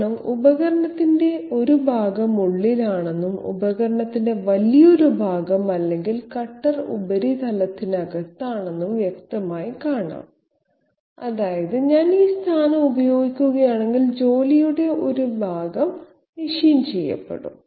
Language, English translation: Malayalam, Because obviously it is clearly visible that part of the tool is inside and quite a large portion of the tool or the cutter is inside the surface, which means that if I use this position, part of the job will be machined out